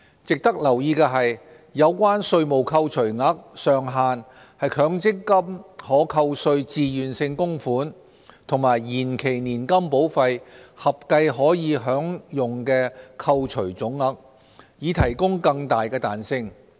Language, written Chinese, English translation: Cantonese, 值得留意的是，有關稅務扣除額上限是強積金可扣稅自願性供款和延期年金保費合計可享的扣除總額，以提供更大彈性。, It is worth noting that the maximum tax deductible limit will be an aggregate limit for MPF TVCs and deferred annuity premiums for greater flexibility